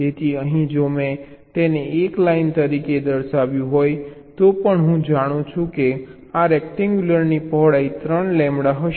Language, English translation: Gujarati, so so here, even if i shown it as a single line, i know that this rectangle width will be three lambda